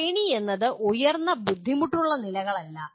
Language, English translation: Malayalam, Hierarchy does not mean higher difficulty levels